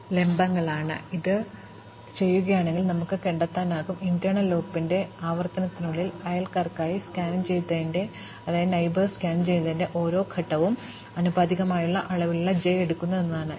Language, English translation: Malayalam, So, if we do this, then what we will find is that, inside the iteration of the inner loop, each step of scanning for the neighbors takes time proportional degree of j